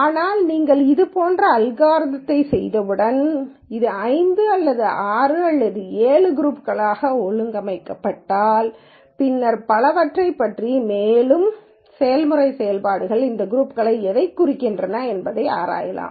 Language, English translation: Tamil, But once you do an algorithm like this then it maybe organizes this into 5 or 6 or 7 groups then that allows you to go and probe more into what these groups might mean in terms of process operations and so on